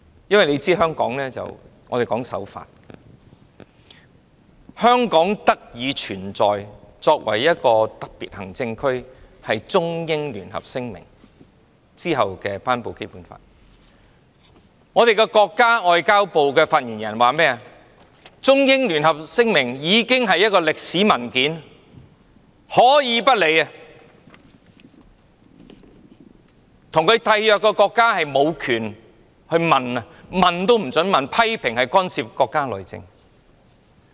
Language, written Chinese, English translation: Cantonese, 大家都知道，香港主張守法，香港特別行政區的基礎是落實《中英聯合聲明》的《基本法》，但國家外交部發言人說，《聲明》是一份歷史文件，可以不予理會，《聲明》的締約國也無權詢問，批評那是干預國家內政。, Everyone knows that Hong Kong advocates compliance with the law and the foundation of the Hong Kong Special Administrative Region is the Basic Law for the implementation of the Sino - British Joint Declaration . However the spokesman of the Ministry of Foreign Affairs said that the Declaration was a historical document that could be disregarded and parties which signed the Declaration did not have the right to make enquiries as such acts were interfering with the internal affairs of the country